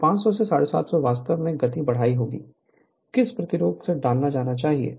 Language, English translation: Hindi, So, 500 to 750, you have to raise the speed, what resistance should be inserted in